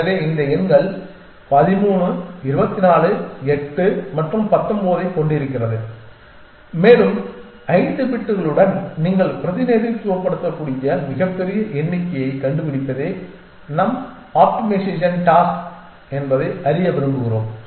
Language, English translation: Tamil, So, we have this 4 numbers 13 24 8 and 19 and we want to know our optimization task is to find the largest number that you can represent with 5 bits